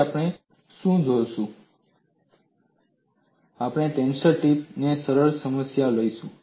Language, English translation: Gujarati, Now, what we will do is, we will take up a simple problem of a tension strip